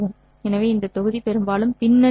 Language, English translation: Tamil, So this module was largely a background material